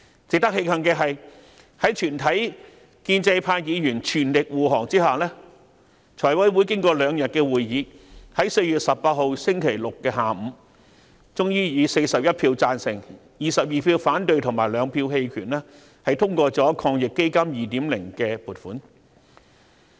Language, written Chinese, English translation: Cantonese, 值得慶幸的是，在全體建制派議員全力護航下，財務委員會經過兩天會議，在4月18日星期六下午，終於以41票贊成、22票反對及2票棄權，通過抗疫基金 2.0 的撥款。, We are happy that with full support of all Members of the pro - establishment camp the funding proposal for the second round of AEF was approved by the Finance Committee after two days of meeting on Saturday afternoon 18 April with 41 Members voted in favour of it 22 Members voted against it and 2 Members abstained